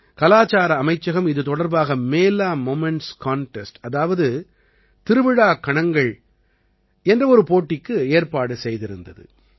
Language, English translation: Tamil, The Ministry of Culture had organized a Mela Moments Contest in connection with the same